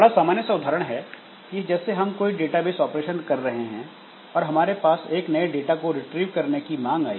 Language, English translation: Hindi, So, that is quite common like we may start for example if we are doing some database operation maybe a new request has come for getting retrieving some data